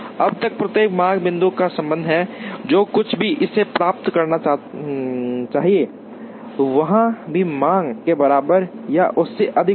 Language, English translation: Hindi, Now, as far as each demand point is concerned, whatever it receives should be greater than or equal to the demand there